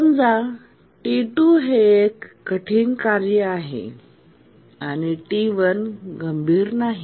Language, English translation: Marathi, Now assume that T2 is a critical task and T1 is not so critical